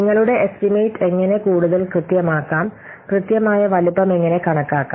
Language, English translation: Malayalam, So, how you can still make your estimation more accurate, how you can do accurate size estimation